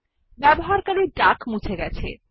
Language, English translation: Bengali, Now the user duck has been deleted